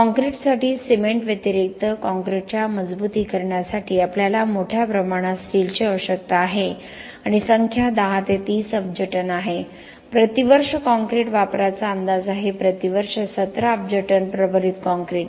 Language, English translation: Marathi, Other than cement for concrete we need aggregates for reinforce concrete we need a lot of steel and the numbers are mind boggling 10 to 30 billion tons is the estimate per year of concrete usage, 17 billion tons of reinforce concrete per year